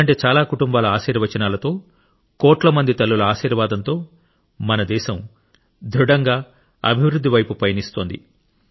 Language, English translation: Telugu, With the blessing of such families, the blessings of crores of mothers, our country is moving towards development with strength